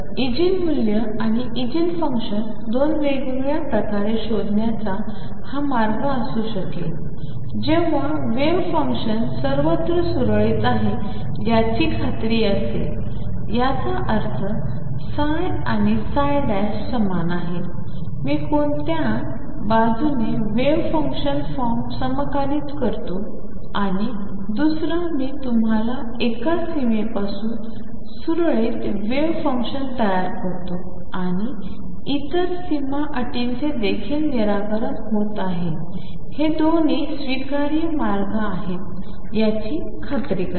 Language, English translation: Marathi, So, this the way to find Eigen value and the eigenfunction in 2 different ways one by making sure that the wave function is smooth all over; that means, psi and psi prime are the same no matter which side I integrate the wave function form and the other I build us smooth wave function starting from one boundary and make sure that the other boundary condition is also satisfied both are acceptable ways